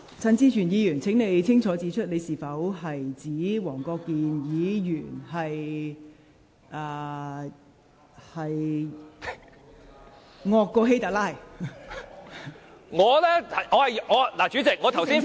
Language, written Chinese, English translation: Cantonese, 陳志全議員，請清楚指出你是否指黃國健議員"比希特拉還要兇狠"？, Mr CHAN Chi - chuen please explain clearly whether you are saying that Mr WONG Kwok - kin is more atrocious than HITLER?